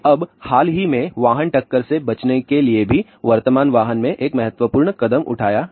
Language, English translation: Hindi, Now recently vehicle collision avoidance has also taken a significant step in the present vehicle things